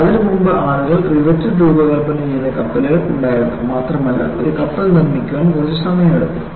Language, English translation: Malayalam, Prior to that, people had ships made of riveted design and it takes quite a bit of time to fabricate a ship